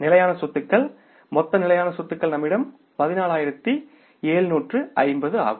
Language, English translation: Tamil, Total fixed assets will come up with us will be that is the 14,750